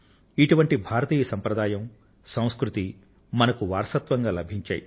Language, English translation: Telugu, We have inherited this Indian tradition as a cultural legacy